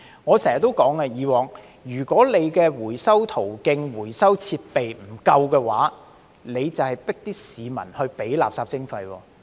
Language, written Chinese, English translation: Cantonese, 我以往經常說，如果回收途徑、回收設備不足夠，當局便是強迫市民支付垃圾徵費。, As I always said in the past if there are not sufficient recycling channels and recycling facilities the authorities are forcing the public to pay the waste charges